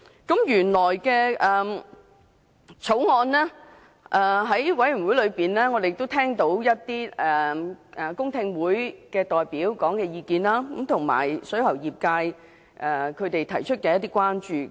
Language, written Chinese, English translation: Cantonese, 法案委員會曾舉行公聽會，我們聽到一些代表的意見，以及水喉業界提出的一些關注。, The Bills Committee has also conducted a public hearing to listen to the views of deputations and the concerns raised by the plumbing trade